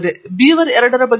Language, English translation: Kannada, What about beaver2